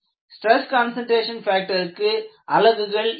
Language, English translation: Tamil, If you look at stress concentration factor, it had no units